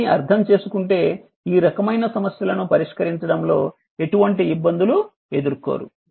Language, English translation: Telugu, Then if you understand all these then you will not face any difficulties of solving this kind of problem so